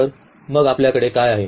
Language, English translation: Marathi, So, what do we have